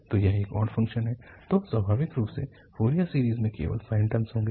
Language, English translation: Hindi, So this is an odd function, then naturally the Fourier series will have only the sine terms